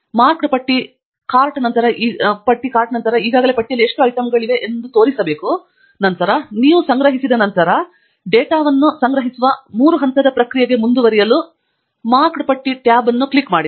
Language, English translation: Kannada, The Marked List cart then should show how many items are there in the list already, and then, once you are done collecting, click on the Marked List tab to proceed to the three step process of collecting the data